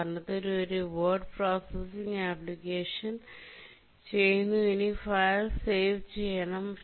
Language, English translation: Malayalam, For example, you are doing a word processing application and you want to save the file